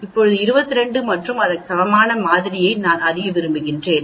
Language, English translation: Tamil, Now I want to know the sample which is equal to 22 and so on